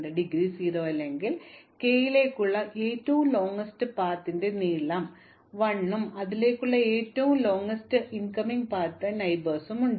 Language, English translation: Malayalam, So, if indegree is not 0 then the longest path to k has length 1 plus the maximum of the longest path to all its incoming neighbours